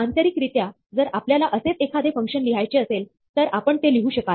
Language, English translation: Marathi, This would be how internally, if you were to write a similar function, you would write it